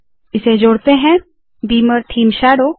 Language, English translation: Hindi, Lets add this – beamer theme shadow